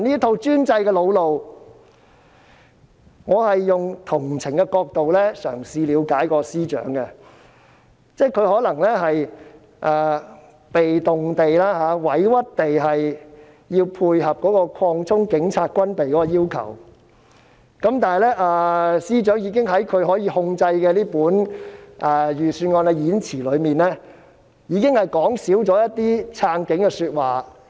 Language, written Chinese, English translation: Cantonese, 我嘗試以同情的角度了解司長，可能他也是被動、委屈地要配合擴充警察軍備的要求，但司長已經在他可以控制的預算案演辭內，少說撐警的說話。, I try to empathize with the Financial Secretary . Perhaps acceding to the request for armaments expansion of the Police is not a choice he made and he feels aggrieved . That is why the Financial Secretary has already refrained from speaking too much on supporting the Police in the Budget speech in which he has control